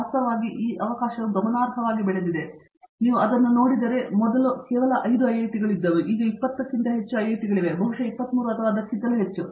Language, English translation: Kannada, In fact, that opportunity has significantly grown, if you look at it, once upon a time there were just 5 IIT's now, there are almost more than 20 IIT's, possibly a number of 23 or so